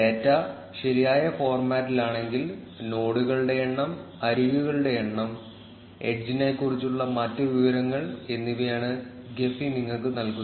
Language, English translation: Malayalam, If the data is in correct format, gephi will give you a summary of the data, which is the number of nodes, the number of edges and other information about the edge